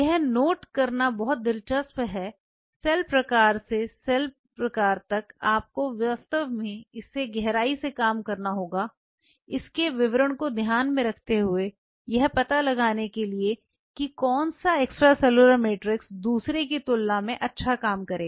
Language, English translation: Hindi, It is very interesting to note the cell type to cell type you have to really work it out in depth in detail in mine to is details to figure out that which extracellular matrix will do good as compared to the other one